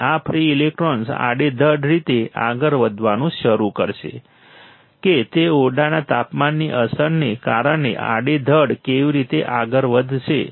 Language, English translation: Gujarati, And this free electron will start moving randomly all right that how they will move randomly in the because effect of room temperature